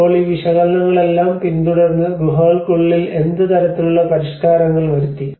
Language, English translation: Malayalam, Now, inside the caves following all these analysis what kind of modifications has been done